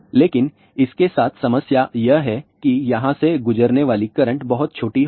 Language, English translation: Hindi, But the problem with this is that the current going through here will be very small